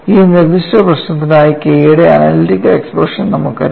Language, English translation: Malayalam, See for this specific problem, we also know analytical expression for K what is the analytical expression for K